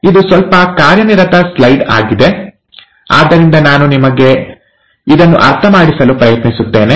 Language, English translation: Kannada, This is a little busy slide, so let me just walk you through this